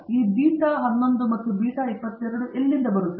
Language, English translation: Kannada, Where did this beta 11 and beta 22 come from